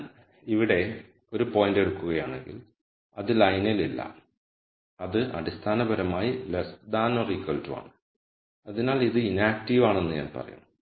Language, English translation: Malayalam, If I take a point here then that is not on the line so, that is basically less than equal to 0 so, I will say it is inactive